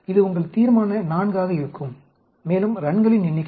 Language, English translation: Tamil, This will be your Resolution IV and so on, number of runs